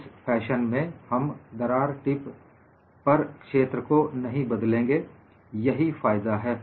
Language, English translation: Hindi, In this fashion, we will not alter the stress field at the crack tip; that is the advantage